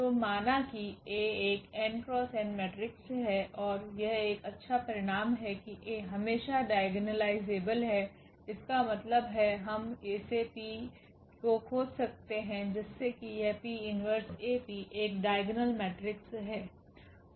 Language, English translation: Hindi, So, let A be an n cross n matrix and that is a nice result that A is always diagonalizable; that means, we can find such A P such that this P inverse AP is a diagonal matrix